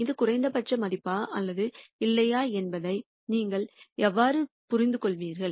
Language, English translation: Tamil, How do you understand if it is a minimum value or not